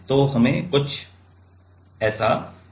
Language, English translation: Hindi, So, we get something like this